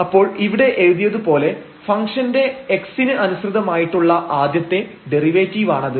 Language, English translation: Malayalam, So, that is the first derivative of this function with respect to x which is written here